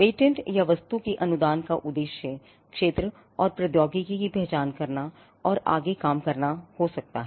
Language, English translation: Hindi, Now, the object of a patent or the grant of a patent could be to identify area and technology and to do further work